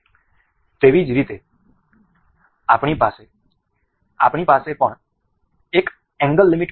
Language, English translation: Gujarati, Similarly, we have angle limit as well